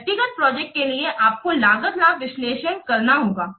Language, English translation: Hindi, For individual projects we have, you have to perform cost benefit analysis